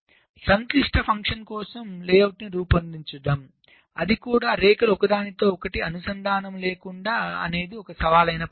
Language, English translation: Telugu, so generating a layout for a complex function without the lines crossing each other is a challenging task